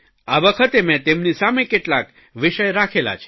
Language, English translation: Gujarati, This time I put some issues before them